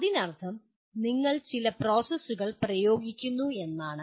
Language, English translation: Malayalam, That means you are applying certain processes